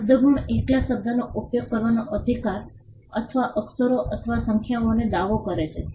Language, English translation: Gujarati, Word marks claim the right to use the word alone, or letters or numbers